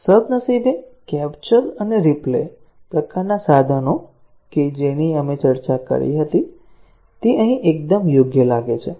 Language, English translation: Gujarati, Fortunately, the capture and replay type of tools that we had discussed, appear to be a perfect fit here